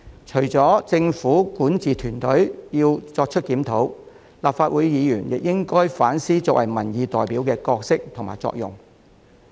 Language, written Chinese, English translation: Cantonese, 除了政府管治團隊要作出檢討外，立法會議員也應該反思作為民意代表的角色及作用。, Apart from the need for the governance team of the Government to conduct a review Members of the Legislative Council should also reflect on their roles and functions as representatives of the public